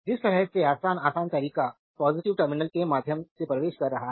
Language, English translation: Hindi, The way you can easy easiest way is current entering through the positive terminal